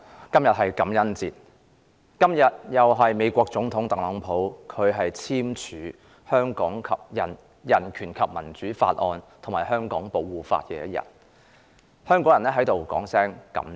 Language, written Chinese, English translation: Cantonese, 局長，今天是感恩節，亦是美國總統特朗普簽署《香港人權與民主法案》及《香港保護法》的日子，香港人想在此說聲"感謝！, Secretary today is Thanksgiving Day and it also marks the signing of the Hong Kong Human Rights and Democracy Act and the Protect Hong Kong Act by President TRUMP of the United States . The people of Hong Kong would like to express their gratitude